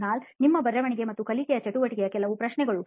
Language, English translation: Kannada, Kunal, just a few questions on your writing and learning activity